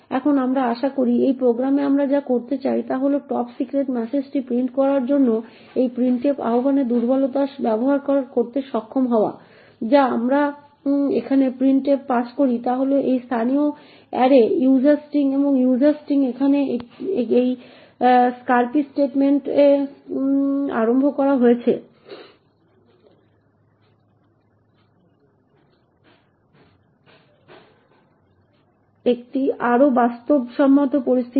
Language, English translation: Bengali, Now we hope what we want to do in this program is to be able to use vulnerability in this printf invocation to print this top secret message what we pass printf over here is this local array user string and user string is initialised in this string copy statement over here in a more realistic situation